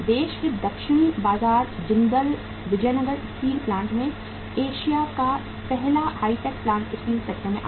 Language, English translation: Hindi, In the southern market of the country Jindal Vijayanagar Steel Plant, Asia’s first hi tech plant came up in the steel sector